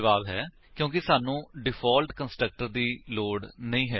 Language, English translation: Punjabi, The answer is we dont need the default constructor